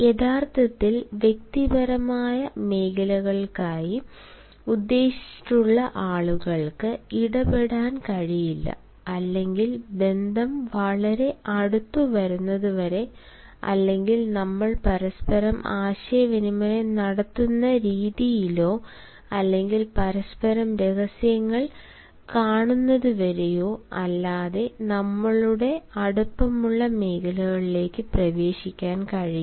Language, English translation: Malayalam, the people who are actually meant for personal zones cannot interfere with or cannot enter into our intimate zones unless and until the relationship becomes so close or unless and until the way we communicate with each other or see a secrets with each other that we become intimate